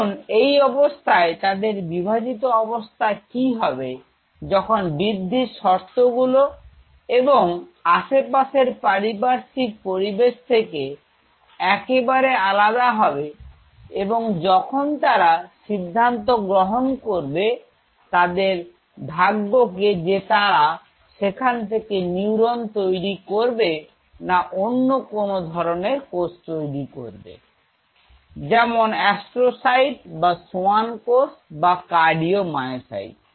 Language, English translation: Bengali, Now at this the conditions which will be there the dividing conditions the growth factors and the surrounding milieu will be entirely different for these cells when they decide they are fate determination whether they will be come from here they will be come and neuron or they become you know some real cell something like these astrocytes or they will become schwann cells or they become cardiomyocytes that is it